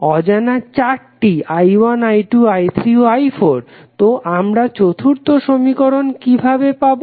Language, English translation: Bengali, Unknowns are four i 1, i 2 then i 3 and i 4, so where we will get the fourth equation